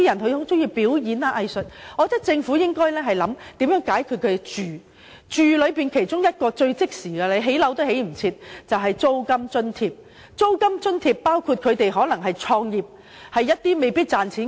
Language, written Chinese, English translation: Cantonese, 對於這類人士，政府應考慮如何解決他們的居住問題，其中一項最即時的措施就是提供租金津貼，因為即使立即建屋也未必來得及。, The Government should consider ways to address their housing needs and one of the fastest immediate measures is to provide rent allowance since it may not be possible to undertake housing development in time to grant the necessary relief to them